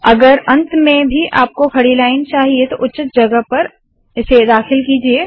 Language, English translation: Hindi, If you want vertical lines at the end also, put them at appropriate places